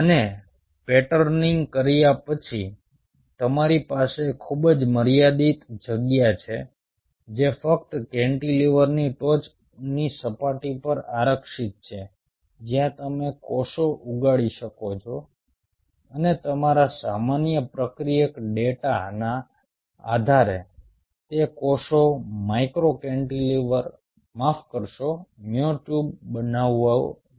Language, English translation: Gujarati, and after patterning, you have a very finite space which is exclusively reserved on the top surface of the cantilever, where you can grow the cells and, based on your normal substrate data, those cells should form micro cantilever